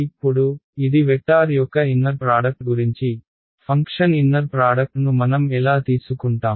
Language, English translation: Telugu, Now so, this is about inner product of vectors, how about inner product of functions, how do we take inner products of functions